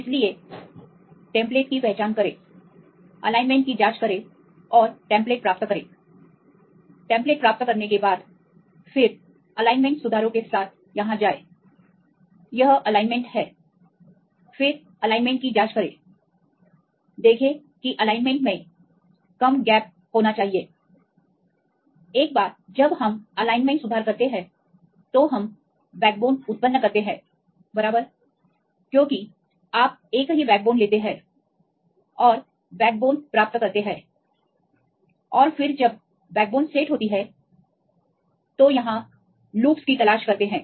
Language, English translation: Hindi, So, identify the template right you check the alignment and get the template once we get the templates, then go with the alignment corrections right here with the; this is the alignment right, then check the alignment show that there will be less gaps in the alignment once we have the alignment correction, then we generate the backbones right because you take the same backbone and get the backbone and then when the backbone is set, they look for the loops here